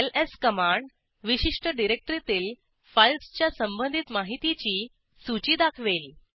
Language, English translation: Marathi, ls command lists the information about files in that particular directory